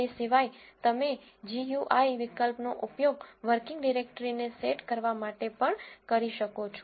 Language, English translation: Gujarati, Otherwise you can use GUI option also to set the working directory